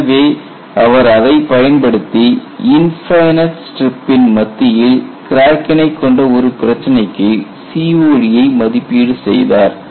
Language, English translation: Tamil, So, he evaluated COD using that and that was for a problem of a center crack in an infinite strip